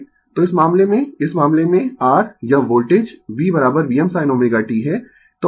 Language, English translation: Hindi, So, in this case, in this case, your this voltage is V is equal to V m sin omega t